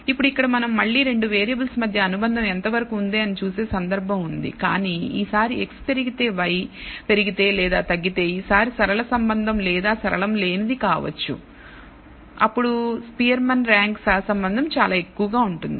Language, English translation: Telugu, Now here is a case where we only look at the again look for degree of association between 2 variables, but this time the relationship may be either linear or non linear if x increases y increases or decreases monotonically then the Spearman’s Rank Correlation will tend to be very high